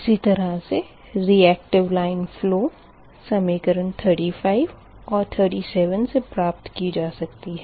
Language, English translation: Hindi, similarly, your reacting line flows we calculated from equation thirty five and thirty seven